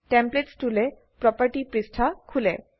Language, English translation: Assamese, Templates tool property page opens below